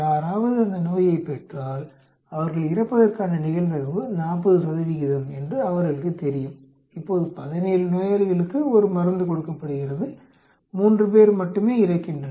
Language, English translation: Tamil, They know that if somebody gets the disease, probability of them dying is 40 percent, now a drug is given to 17 patients and only 3 die